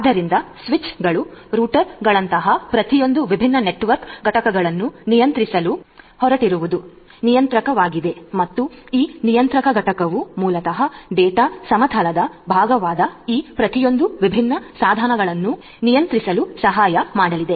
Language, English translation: Kannada, So, that controller is the one which is going to control each of these different network entities which are there like switches, routers etcetera and this controller entity the network entity controller basically is going to help in controlling each of these different devices which are part of the data plane